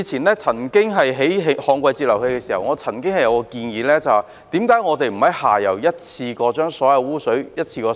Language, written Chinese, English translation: Cantonese, 以往建造旱季截流器時，我曾經提出一項建議，就是為何不在下游一次過收集所有污水？, Sometimes it is even worse than before . In the past when DWFIs were being built I made a suggestion . That is why not collect all the sewage downstream at one go?